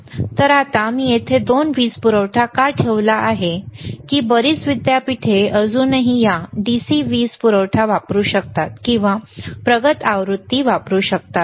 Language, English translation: Marathi, So now, why I have kept both the power supplies here is that lot of universities may still use this DC power supply or may use advanced version